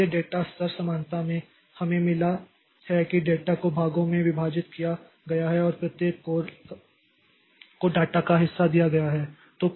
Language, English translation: Hindi, So in a data level parallelism, so we have got this the data is divided into portions and each core is given the part of the data